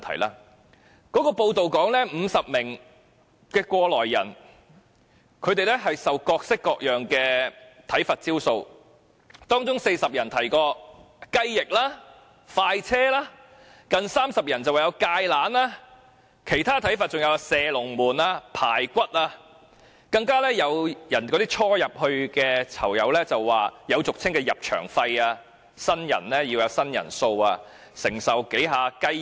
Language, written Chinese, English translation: Cantonese, 根據有關報道指，有50名過來人受到各式各樣的體罰招數，當中有40人提到"雞翼"、"快車"；有近30人是"芥蘭"；其他體罰還有"射龍門"、"排骨"，更有初入監獄的囚友提到有俗稱的"入場費"，新人要有"新人數"，要承受數次"雞翼"。, According to the media report concerned the 50 former prisoners suffered various forms of corporal punishment . Among them 40 persons were subject to chicken wings express vehicles; and 30 of them were treated with Chinese kale; other forms of corporal punishment included shooting the goal or ribs . Moreover new prisoners mentioned a sort of entrance fees implying that new - comers had to take certain quotas of punishment such as to bear chicken wings for a certain number of times